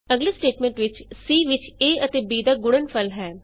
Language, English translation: Punjabi, In the next statement, c holds the product of a and b